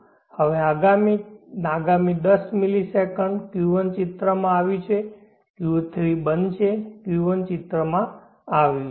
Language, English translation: Gujarati, And now the next 10 millisecond Q1 has come into the picture Q3 is off, Q1 has come into the picture